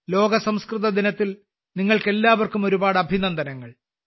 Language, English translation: Malayalam, Many felicitations to all of you on World Sanskrit Day